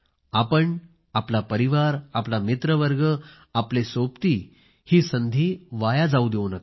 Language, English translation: Marathi, You, your family, your friends, your friend circle, your companions, should not miss the opportunity